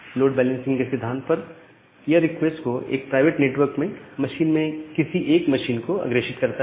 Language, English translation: Hindi, Based on the load balancing principle, it forwards the request to one of the machines which are internal to the private network